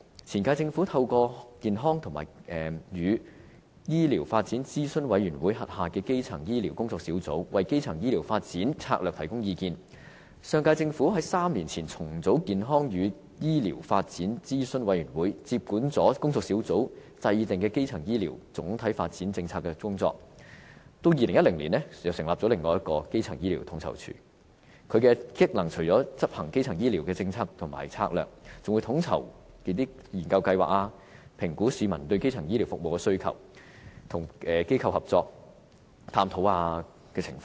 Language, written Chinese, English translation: Cantonese, 前屆政府透過健康與醫療發展諮詢委員會轄下的基層醫療工作小組為基層醫療發展策略提供意見，上屆政府在3年前重組健康與醫療發展諮詢委員會，接管工作小組制訂的基層醫療總體發展政策的工作，並在2010年成立另一個基層醫療統籌處，職能除了執行基層醫療的政策和策略，還會統籌研究計劃，評估市民對基層醫療服務的需求，並與機構合作探討情況。, During the previous term of Government the Working Group on Primary Care WGPC under the Health and Medical Development Advisory Committee HMDAC advised the Government on strategic directions for the development of primary care in Hong Kong . The last Government reorganized HMDAC three years ago and the reorganized body took over the WGPCs work in formulating development broader policy issues on primary care development in Hong Kong . In 2010 the Primary Care Office PCO was established to coordinate research programmes on top of executing primary health care policies and strategies evaluating public demands on primary health care services and exploring cooperation opportunities with other institutions